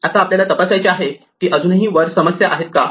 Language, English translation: Marathi, Now, we have to check whether there is still a problem above